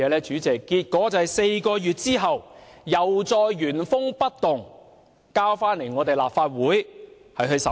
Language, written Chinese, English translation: Cantonese, 主席，結果在4個月後，《條例草案》原封不動地再次提交立法會審議。, President the result was that after four months the Bill was resubmitted in its original form to this Council for scrutiny